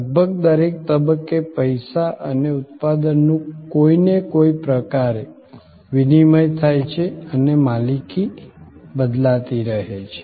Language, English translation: Gujarati, Almost at every stage, there is some kind of exchange of money and product and the ownership gets transferred